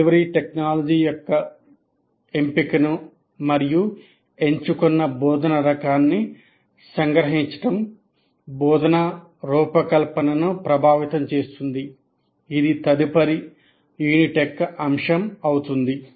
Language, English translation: Telugu, Now, again, to summarize, the choice of delivery technology and type of instruction chosen will influence the instruction design, which will be the topic for the next unit